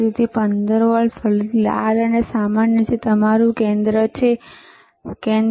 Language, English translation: Gujarati, So, plus 15 volts, again red and the common which is your centre the and what you see 15